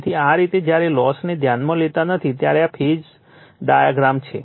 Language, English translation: Gujarati, So, this is how that your when we are not considering the losses so, this is the Phasor diagram